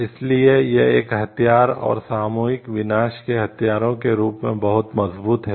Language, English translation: Hindi, So, that is why it is a like very it is a strong as a weapon and this weapon of mass destruction